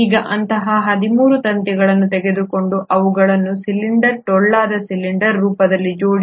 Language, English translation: Kannada, Now take such 13 such strings and arrange them in the form of a cylinder, a hollow cylinder